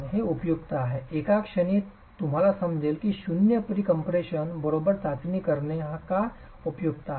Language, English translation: Marathi, It's useful in a moment you will understand why it is useful to do a test with zero pre compression, right